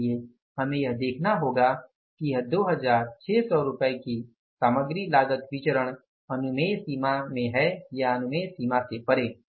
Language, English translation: Hindi, So we will have to look for that this 2,600 rupees of the material cost variance whether it is in the permissible range or beyond the permissible range